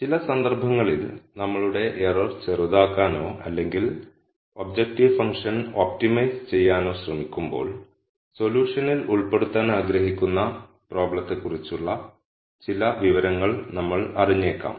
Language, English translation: Malayalam, In some cases while we are trying to optimize or minimize our error or the objective function, we might know some information about the problem that we want to incorporate in the solution